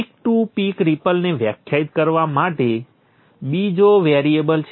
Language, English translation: Gujarati, Another variable to define is the peak to peak ripple